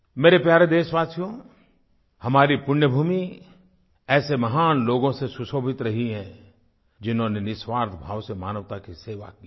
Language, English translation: Hindi, My dear countrymen, our holy land has given great souls who selflessly served humanity